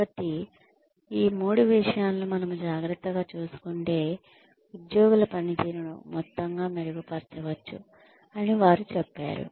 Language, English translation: Telugu, So, they said that, once we take care of these three the employee performance, overall can be improved